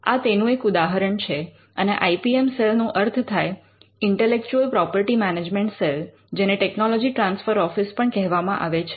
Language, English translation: Gujarati, This is a typical example of how it is done and by IPM cell we refer to the intellectual property management cell or it could also be called the technology transfer office